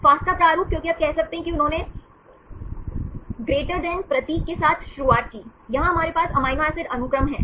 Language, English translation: Hindi, Fasta format because you can say they started with the > symbol, here we have the amino acid sequence